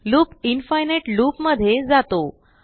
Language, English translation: Marathi, Loop goes into an infinite loop